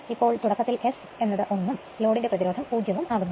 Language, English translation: Malayalam, So, at the time of starting now S is equal to 1 the load resistance is 0